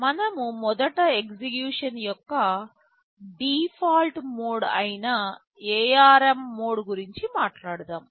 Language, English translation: Telugu, We first talk about the ARM mode of execution which is the default mode